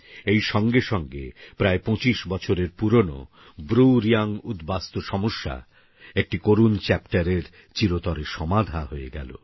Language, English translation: Bengali, With it, the closeto25yearold BruReang refugee crisis, a painful chapter, was put to an end forever and ever